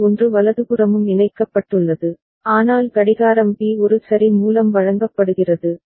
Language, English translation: Tamil, JB is also connected to 1 right, but Clock B is fed by A ok